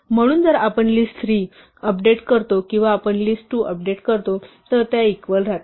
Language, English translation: Marathi, So, if we update list3 or we update list2 they will continue to remain equal